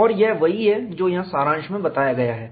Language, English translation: Hindi, And that is what is summarized here